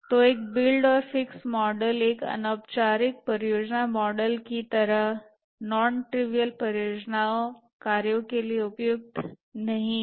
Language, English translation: Hindi, So an informal project model like a build and fixed model is not suitable for non trivial project work